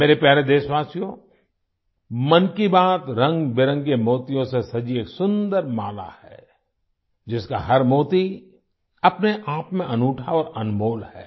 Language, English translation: Hindi, My dear countrymen, 'Mann Ki Baat' is a beautiful garland adorned with colourful pearls… each pearl unique and priceless in itself